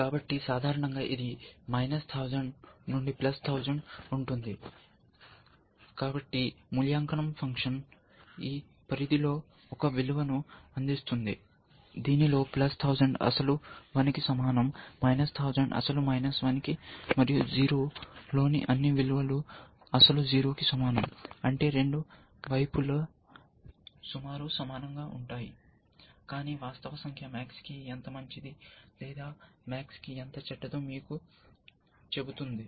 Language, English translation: Telugu, So, typically it is, let say minus 1000 to plus 1000, so the evaluation function returns as a value in this range, which the understanding that plus 1000 is equal to the original one, minus thousand is equal to the original minus, one and all values in 0 is equal to the original 0, which means both sides are roughly equal, but the actual number tells you, how good it is for max or how bad it is for max